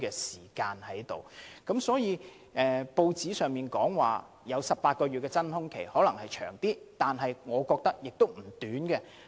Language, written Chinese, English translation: Cantonese, 所以，雖然報章報道的18個月真空期可能過長，但我覺得這段期間亦不會太短。, So while the 18 - month vacuum period stated in the press report is perhaps too long I think the transitional period will not be too short either